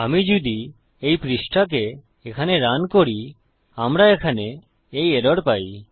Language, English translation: Bengali, If I try to run this page here, we get this error here